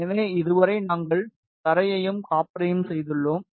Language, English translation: Tamil, So, far we have made the ground and the copper